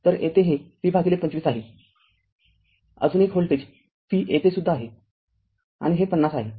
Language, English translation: Marathi, Another one voltage V is here also and this 50